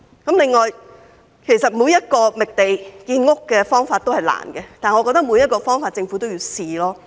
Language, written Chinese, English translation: Cantonese, 此外，其實每個覓地建屋的方法也是艱難的，但我認為每個方法政府也應嘗試。, In addition all methods of land identification for housing construction actually involve difficulties but I think that the Government should try every means